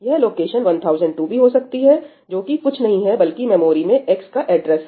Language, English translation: Hindi, So, this will also be location 1002, which is nothing, but the address of x in the memory